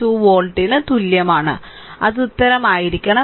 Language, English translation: Malayalam, 2 volt that should be the answer right